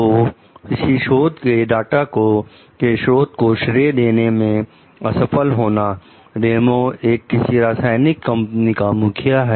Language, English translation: Hindi, So, Failure to Credit the Source of a Research Data, Ramos is the head of a chemical company